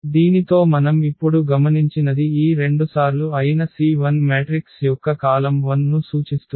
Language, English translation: Telugu, So, what we observed now with this that minus this two times the C 1 denotes this column 1 of our matrix